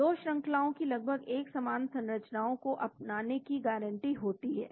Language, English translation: Hindi, The 2 sequences are practically guaranteed to adopt a similar structure